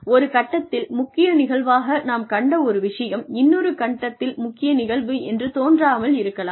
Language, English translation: Tamil, Now, what we see, as a critical incident, at one point, may not seem like a critical incident, at another point